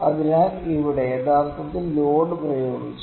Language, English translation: Malayalam, So, here actually the load is applied load applied